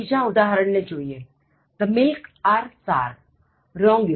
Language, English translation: Gujarati, Look at the next example: The milk are sour, wrong usage